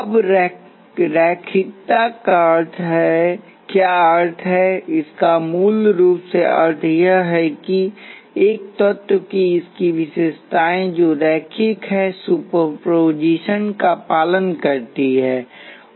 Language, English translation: Hindi, Now what does linearity means this basically means that its characteristics, characteristics of an element which is linear obey superposition